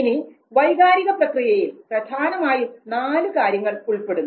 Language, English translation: Malayalam, Now, emotional processes largely involve four things